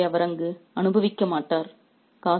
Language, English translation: Tamil, He won't enjoy these luxuries there